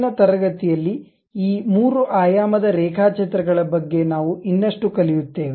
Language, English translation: Kannada, In the next class we will learn more about these 3 dimensional drawings